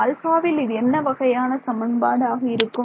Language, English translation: Tamil, So, in terms of your I mean what kind of an equation is this in alpha